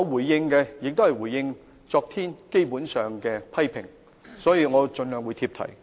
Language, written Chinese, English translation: Cantonese, 我基本上也是回應昨天議員的批評，所以我會盡量貼題。, Basically I am only responding to the criticisms made by Members yesterday . I will try to speak on the topic